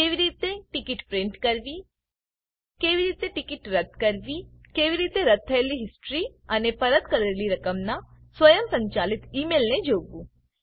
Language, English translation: Gujarati, How to print a ticket, How to cancel a ticket, How to see the history of cancellation and an automated Email of refund